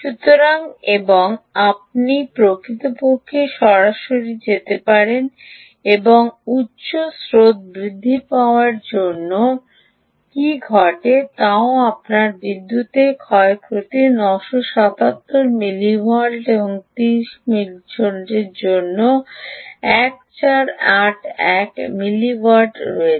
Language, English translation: Bengali, so, and you can actually go directly and also look at what actually happens as the higher currents increases, you have nine hundred and seventy seven ah milliwatts of power loss and fourteen, eighty one ah milliwatts for thirty volts